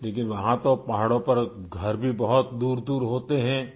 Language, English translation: Urdu, But there in the hills, houses too are situated rather distantly